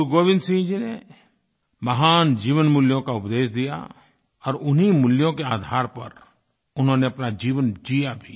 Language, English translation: Hindi, Guru Gobind Singh ji preached the virtues of sublime human values and at the same time, practiced them in his own life in letter & spirit